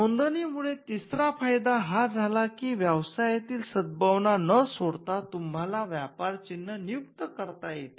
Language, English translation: Marathi, The third benefit that registration brought about was the fact that, you could assign trademarks without giving away the goodwill of the business